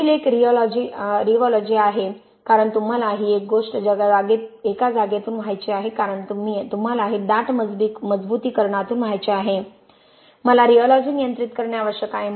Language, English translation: Marathi, The next one is rheology because you want to have this thing flowing through a space right because you want to flow this through dense reinforcement I need to control the rheology